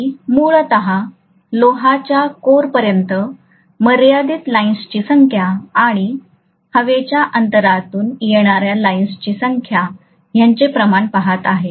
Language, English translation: Marathi, I am essentially looking at the ratio of the number of lines confining themselves to the iron core and the number of lines that are coming through the air gap